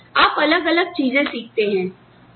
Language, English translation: Hindi, And then, you learn different things